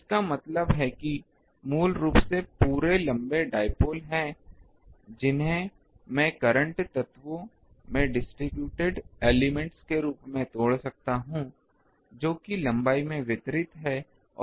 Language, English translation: Hindi, So; that means, basically these whole long dipole that I can break as a break into current elements distributed throughout it is length